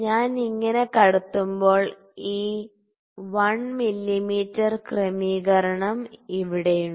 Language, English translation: Malayalam, So, when I insert it so, this 1 mm adjustment is here